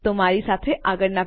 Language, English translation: Gujarati, So join me in the next part